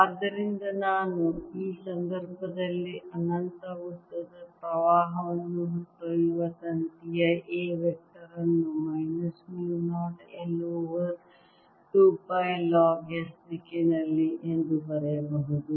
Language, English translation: Kannada, i can also choose a phi to be zero and therefore i can write, in this case of an infinitely long current carrying wire, a vector to be minus mu, not i, over two pi log s in this direction